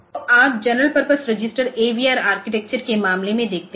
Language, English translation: Hindi, So, you see that these general purpose registers in case of AVR architecture